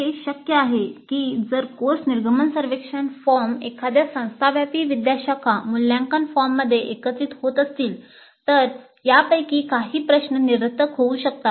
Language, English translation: Marathi, Now it is possible that if the course exit survey form is getting integrated into an institute wide faculty evaluation form, some of these questions may become redundant